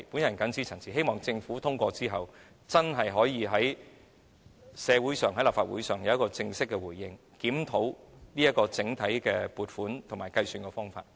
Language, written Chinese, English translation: Cantonese, 我謹此陳辭，希望決議案獲得通過後，政府可以向社會及立法會給予正式回應，檢討整體撥款和計算方法。, I so submit . I hope that after the passage of the resolution the Government can give a formal response to the community and the Legislative Council and review its overall funding and computation approach